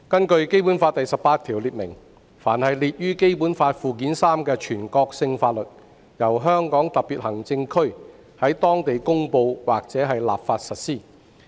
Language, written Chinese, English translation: Cantonese, 《基本法》第十八條列明，"凡列於本法附件三之法律，由香港特別行政區在當地公布或立法實施。, Article 18 of the Basic Law stipulates that the laws listed therein shall be applied locally by way of promulgation or legislation by the Region